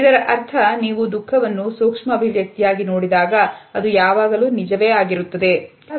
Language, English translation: Kannada, This means when you see sadness as a micro expression it is almost always true